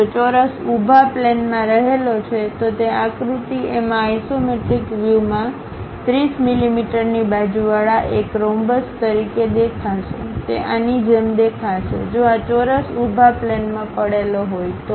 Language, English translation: Gujarati, If the square lies in the vertical plane, it will appear as a rhombus with 30 mm side in the isometric view in figure a; it looks likes this, if this square is lying on the vertical plane